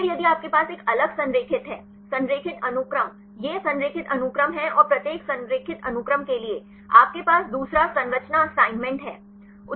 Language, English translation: Hindi, Then if you have the different aligned one; the aligned sequences these are the aligned sequences and for each aligned sequence, you have the second structure assignment